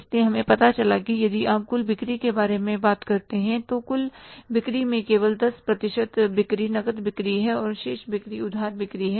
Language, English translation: Hindi, So, we found out that if you talk about the total sales, in the total sales only 10% of sales are the cash sales and the remaining sales are the credit sales